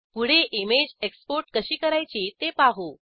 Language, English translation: Marathi, Next, lets learn how to export an image